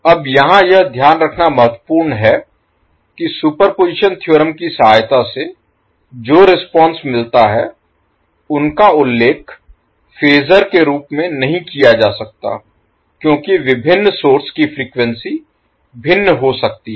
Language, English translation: Hindi, Now it is important to note here that the responses which we get with the help of superposition theorem cannot be cannot be mentioned in the form of phasor because the frequencies of different sources may be different